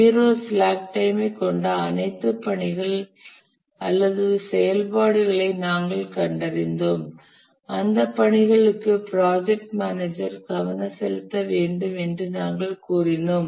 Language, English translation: Tamil, We identified all tasks or activities that have zero slack time and we said that the project manager has to pay special attention to those tasks